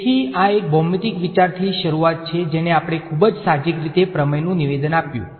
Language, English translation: Gujarati, So, this is the starting with a geometric idea which gave us the statement of the theorem very intuitively